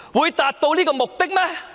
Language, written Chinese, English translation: Cantonese, 可達到目的嗎？, Will the purpose be met?